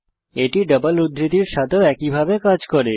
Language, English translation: Bengali, It works in similar fashion with double quotes also